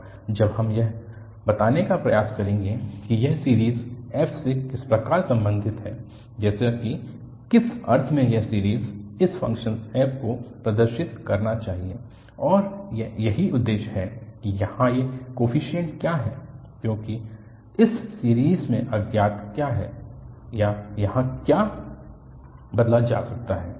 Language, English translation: Hindi, And, now we will try to relate that how this series is related to f such that in some sense this series should represent this function f, and this is what the objective now that what are these coefficients here, because in this series what is unknown or what can be changed here